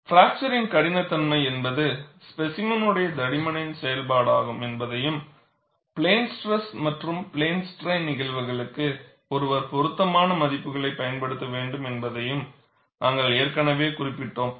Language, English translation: Tamil, And we have already noted that, fracture toughness is a function of specimen thickness and one should use appropriate values for plane stress and plane strain cases